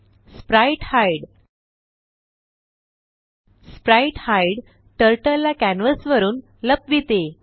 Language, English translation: Marathi, spritehide spritehide hides Turtle from canvas